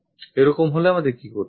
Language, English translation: Bengali, In that case what we have to do